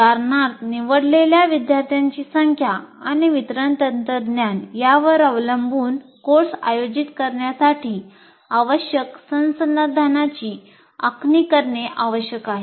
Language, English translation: Marathi, For example, depending on the number of students and delivery technology chosen, the resources needed to conduct the course or to be planned